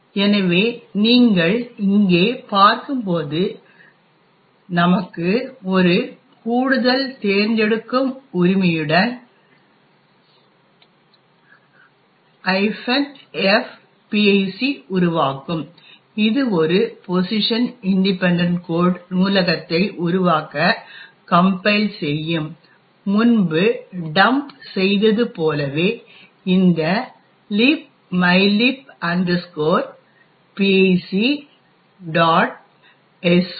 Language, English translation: Tamil, So, as you see here we have in additional option minus F pic which would generate, which would cost the compiler to generate a position independent code library and as before we also dump disassembly of this library in libmylib pic